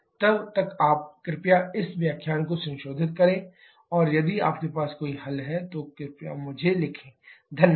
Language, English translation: Hindi, Till then you please revise this lecture and if you have any query, please write to me, Thank you